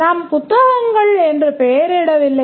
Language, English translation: Tamil, We don't name the class books